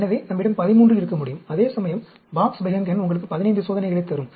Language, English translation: Tamil, So, we can have 13, whereas Box Behnken will give you 15 experiments